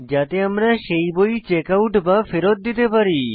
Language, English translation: Bengali, So that we can Checkout/Return that book